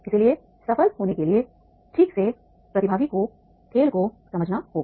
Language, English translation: Hindi, So to become the successful the participant understands the game properly